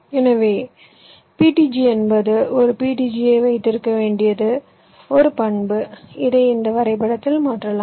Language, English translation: Tamil, so ptg is a property where you which you must have an from ptg you can translate it into this graph